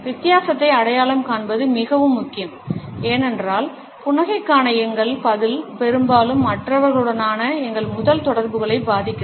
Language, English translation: Tamil, It is particularly important to identify the difference because our response to the smile often influences our first interactions with other people